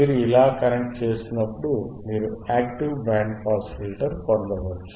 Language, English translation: Telugu, wWhen you connect like this, you can get an active band pass filter